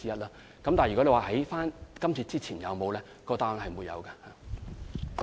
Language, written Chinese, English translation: Cantonese, 至於問及在今次之前有否先例，答案是沒有的。, As for whether there was any precedent the answer is no